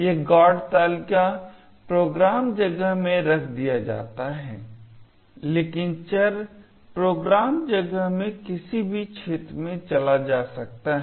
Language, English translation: Hindi, This GOT table is fixed in the program space, but the variables move into any region in the program space